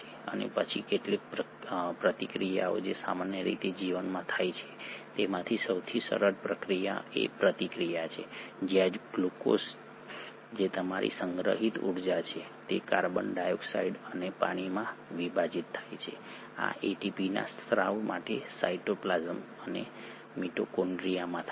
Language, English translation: Gujarati, And then some of the reactions which very commonly occur in life, the most easy one is the reaction where the glucose which is your stored energy is kind of broken down into carbon dioxide and water, this happens in cytoplasm and mitochondria for the release of ATP